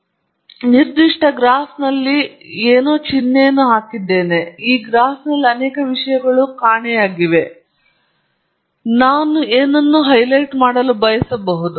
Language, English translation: Kannada, So, again I have put a NO sign on this particular graph; many things are missing on this graph; and that something that I wish to highlight